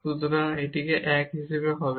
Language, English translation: Bengali, So, this will be as 1